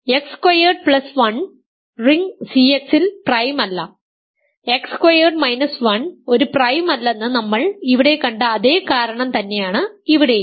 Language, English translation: Malayalam, So, X squared plus 1 is not prime in the ring C X because for exactly the same reason that we saw here that X squared minus 1 was not a prime